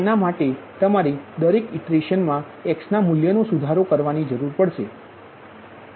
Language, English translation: Gujarati, every iteration you need to update the x value